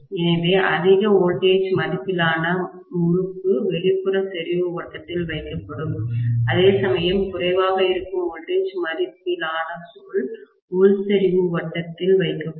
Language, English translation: Tamil, So, larger voltage rated winding will be placed in the outer concentric circle, whereas lower voltage rated coil will be placed in the inner concentric circle